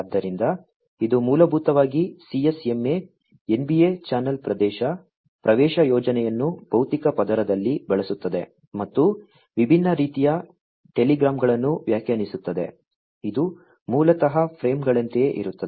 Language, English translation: Kannada, So, this can basically uses the CSMA, NBA channel access scheme, in the physical layer and defines different sorts of telegrams, which is basically some something like the frames